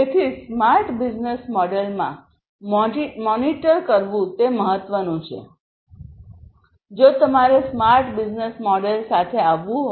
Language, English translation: Gujarati, So, what is important is to monitor in a smart business model; if you have to come up with a smart business model